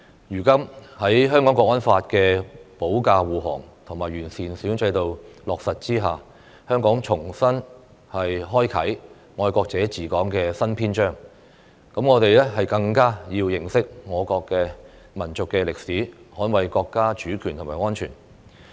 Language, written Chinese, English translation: Cantonese, 如今，在《香港國安法》的保駕護航及完善選舉制度落實之下，香港重新開啟"愛國者治港"的新篇章，我們更加要認識我國的民族歷史，捍衞國家主權和安全。, Now with the protection of the Hong Kong National Security Law and the implementation of the improved electoral system Hong Kong has started afresh a new chapter of patriots governing Hong Kong and it is all the more important for us to understand the history of our nation and defend the sovereignty and security of our country